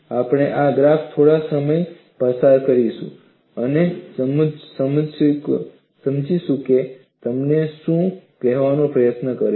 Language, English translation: Gujarati, We will spend some time on this graph and understand what it tries to tell you